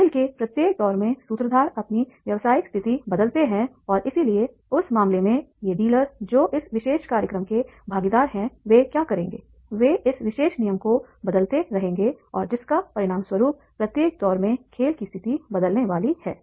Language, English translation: Hindi, The facilitators change the business situation in each round of the game and therefore in that case these dealers, those who are the participants of this particular program, what they will do, they will keep on changing this particular rules and as a result of which the game situation is in each round is going to be changed